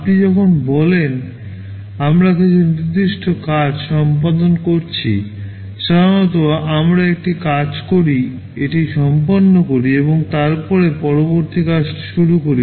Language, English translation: Bengali, When you say we are caring out certain tasks, normally we do a task, complete it and then start with the next task